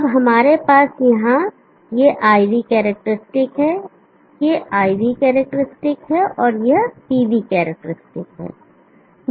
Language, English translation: Hindi, Now here we have this IV characteristic, this is the IV characteristic and this is the PV characteristic